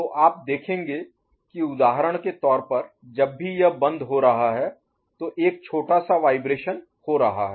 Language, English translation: Hindi, So, you will see you will see that whenever it is getting closed for example here, so there is a small vibration taking place